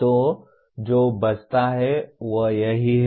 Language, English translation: Hindi, So what remains is this